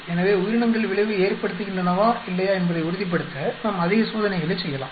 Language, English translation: Tamil, So, we may do more experiments to be sure that organisms whether they play or do not play an effect